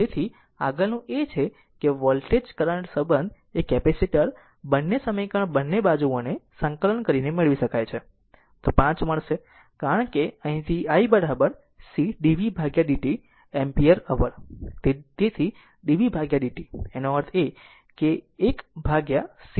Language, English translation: Gujarati, So, next is that next is the voltage current relationship the capacitor can be obtain by integrating both sides of equation 5 we will get, because here we know that i is equal to c into dv by dt right ah